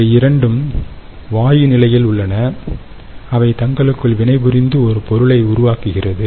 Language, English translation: Tamil, both of these are in gaseous state and they will react to form this component